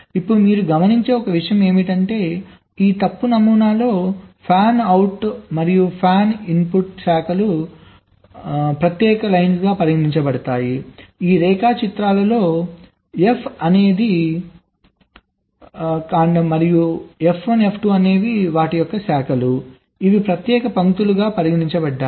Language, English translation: Telugu, now one point you note is that in this fault model the fanout stems and fanout branches are considered as separate lines, like in this diagrams: f is a fanout stem and f one, f two are fanout branches